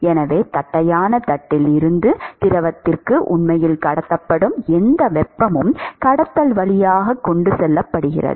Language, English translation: Tamil, So, whatever heat that is actually transported from the flat plate to the fluid is transported via conduction right